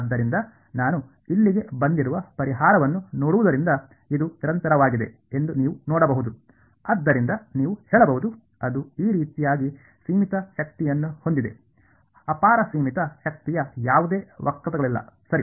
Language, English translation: Kannada, So, looking at this looking at the solution that I have got over here you can see it is continuous can you say therefore, that it has finite energy in this way; there are no kinks running off to infinity finite energy right